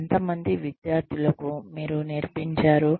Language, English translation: Telugu, How many students, did you teach